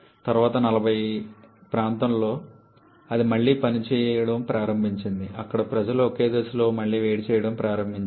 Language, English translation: Telugu, Then in early forties it started to operate again, where have people started to use one stage of reheating